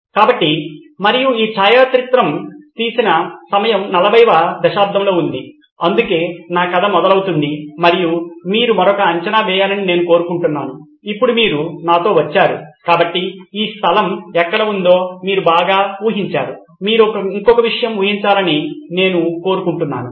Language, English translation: Telugu, So, and the time period around which this photograph was taken was in the 40’s so that’s where my story begins and I would like you to take another guess, now that you have come with me so far you guessed so well where this place is, I would like you to guess one more thing